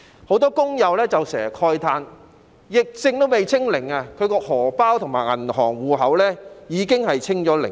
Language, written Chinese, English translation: Cantonese, 很多工友時常慨嘆，疫症尚未"清零"，他們的"荷包"及銀行戶口已經"清零"。, Many workers often lament that before zero infection can be achieved insofar as the epidemic is concerned their wallets or bank accounts will have shown a zero balance